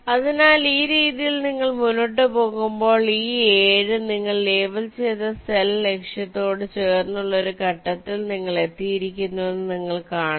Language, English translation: Malayalam, so in this way you go on and you see that you have reached a stage where this seven, the cell you have labeled, is adjacent to the target